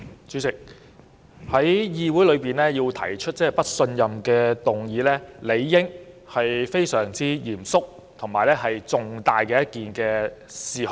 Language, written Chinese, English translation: Cantonese, 主席，在議會提出"不信任"議案，理應是針對非常嚴肅及重大的事項。, President theoretically a motion of no confidence is proposed in a parliamentary assembly only when an issue of the utmost seriousness and significance is involved